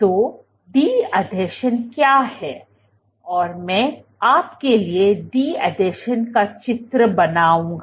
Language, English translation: Hindi, So, what is de adhesion I will draw de adhesions for you